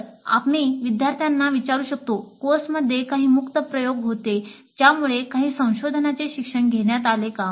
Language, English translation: Marathi, So we can ask the students the course had some open ended experiments allowing some exploratory learning